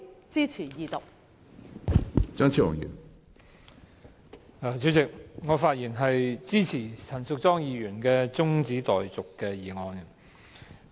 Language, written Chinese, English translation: Cantonese, 主席，我發言支持陳淑莊議員的中止待續議案。, President I speak in support of Ms Tanya CHANs adjournment motion